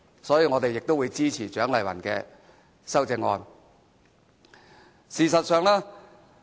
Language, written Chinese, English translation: Cantonese, 因此，我們會支持蔣麗芸議員的修正案。, Hence we will support Dr CHIANG Lai - wans amendment